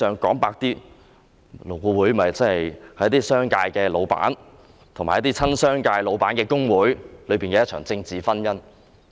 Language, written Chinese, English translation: Cantonese, 坦白說，勞顧會是一些商界老闆和親商界老闆的工會的"政治婚姻"。, Frankly LAB is a political marriage between certain bosses in the commercial sector and the trade unions that side with these bosses